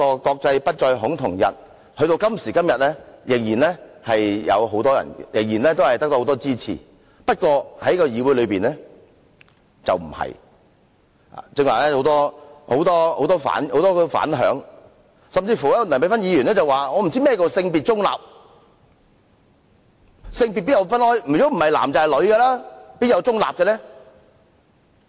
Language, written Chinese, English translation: Cantonese, "國際不再恐同日"至今仍得到很多人支持，不過在議會內卻非如此，剛才有很多反響，梁美芬議員甚至說：不知何謂"性別中立"，性別不是男性便是女姓，哪有中立呢？, The International Day against Homophobia Transphobia and Biphobia receives the support of many nowadays except that of the some Members in this Council who have expressed their views just now . Dr Priscilla LEUNG even said she did not understand the meaning of gender - neutral as for her gender is either male or female and there is no neutral